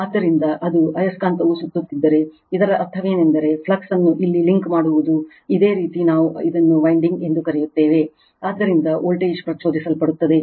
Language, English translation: Kannada, So, as it is if it magnet is revolving that means, flux linking here this your what we call this your what we call this winding, so voltage will be induced right